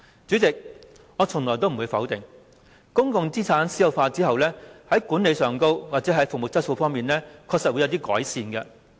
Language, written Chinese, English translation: Cantonese, 主席，我從來不會否定公共資產私有化後，在管理及服務質素方面確實會有所改善。, President never do I deny that the management and quality of service will indeed be improved after the privatization of public assets